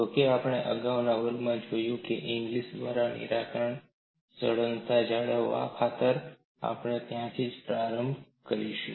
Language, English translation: Gujarati, Although we have seen in the earlier classes, the solution by Inglis, for the sake of continuity we will start with that